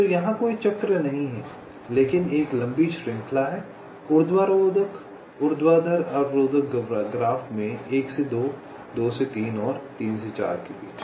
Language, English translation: Hindi, so here though, there is no cycle, but there is a long chain in the vertical constraint graph: one to two, two to three and three to four